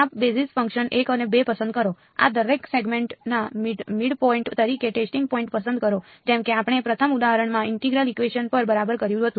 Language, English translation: Gujarati, Pick these basis functions 1 and 2, pick the testing points to be the midpoints of each of these segments just like how we had done in the first example on integral equations right